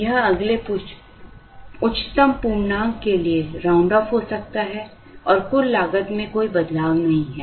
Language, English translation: Hindi, It can be a rounded off to the next highest integer and there is absolutely no change in the total cost